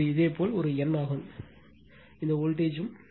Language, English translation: Tamil, And this is this is your a n that means, your this voltage